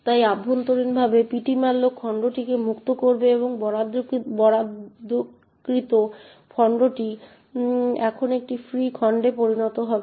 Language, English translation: Bengali, So internally ptmalloc would free the chunk and the allocated chunk would now become a free chunk